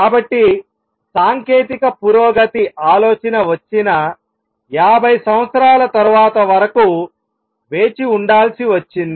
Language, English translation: Telugu, So, technological advancement had to wait about 50 years after the idea came